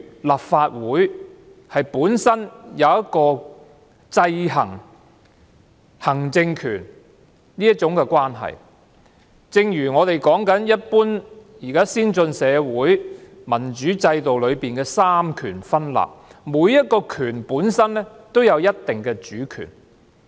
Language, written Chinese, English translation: Cantonese, 立法會有制衡行政機關權力的職能，在一般先進社會的民主制度下實行三權分立，每一個權力本身都有一定的主權。, The Legislative Council has the function of checking the powers of the executive . Under the separation of powers in any democratic system of advanced societies in general each branch has a certain degree of autonomy